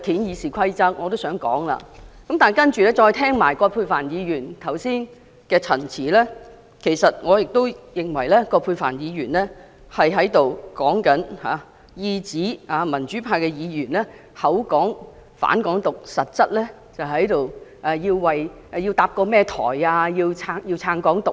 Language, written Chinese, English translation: Cantonese, 然後，我再聽到葛珮帆議員剛才的陳辭，其實我亦認為葛珮帆議員是在意指民主派議員聲稱反對"港獨"，實質卻是想搭建一個台去支持"港獨"。, I then heard Dr Elizabeth QUATs speech . In fact I also think that Dr Elizabeth QUAT was also implying that democratic Members though claiming to oppose Hong Kong independence were actually intending to set up a platform to advocate Hong Kong independence